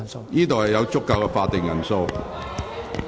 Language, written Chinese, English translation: Cantonese, 會議廳內現有足夠法定人數。, A quorum is present in the Chamber now